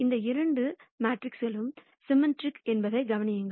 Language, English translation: Tamil, And notice that both of these matrices are symmetric